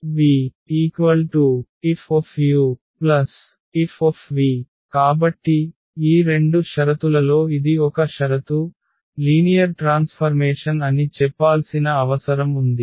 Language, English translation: Telugu, So, that is one conditions for out of these 2 conditions this is one which is required to say that this is a linear transformation